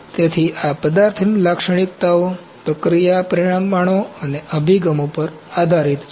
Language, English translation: Gujarati, So, this depends upon the material characteristics processing parameters and approaches